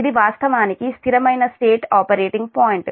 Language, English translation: Telugu, this is the steady state operating point